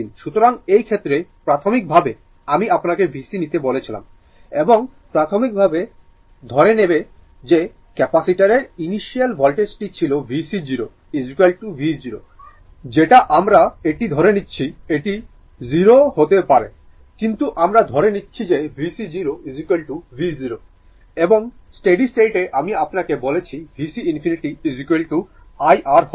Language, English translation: Bengali, So, in this case your, so initially that is why I told you that v c your and initially we will assume that initial voltage of the capacitor was v c 0 is equal to v 0 that we are assuming it, it may be 0 also, but we are assuming that v c 0 is equal to v 0 right and at steady state I told you, v c infinity is equal to I R